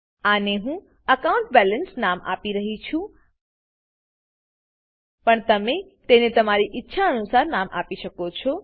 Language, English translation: Gujarati, Im going to call this AccountBalance as well, But you can give it any other name you wish to